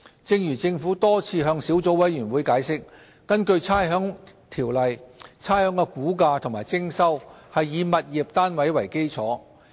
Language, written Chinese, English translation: Cantonese, 正如政府多次向小組委員會解釋，根據《差餉條例》，差餉的估價及徵收是以物業單位為基礎。, As the Government has explained to the Subcommittee time and again pursuant to the Rating Ordinance the valuation and collection of rates are based on tenements